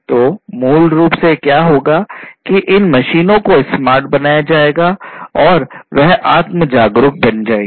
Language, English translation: Hindi, So, basically what will happen is these machines will be made smarter, they would be made self aware